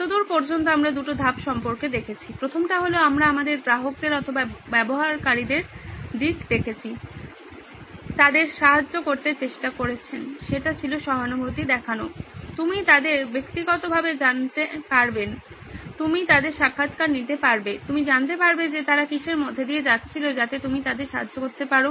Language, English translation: Bengali, We have looked at two stages so far, first was we got into the shoes of the customer or the user who are you are trying to help that was the empathize, you got to know them personally, you got to interview them, you got to know what they were going through that you can help out with